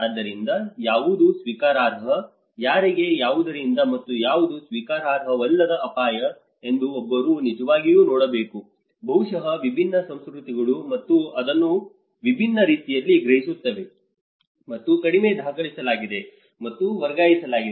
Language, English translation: Kannada, So, one has to really look into what is acceptable, to whom, by what, from what and what is an unacceptable risk, maybe different cultures perceive that in a different way, and less is very documented and transferred